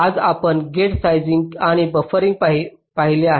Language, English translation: Marathi, today we have seen gate sizing and buffering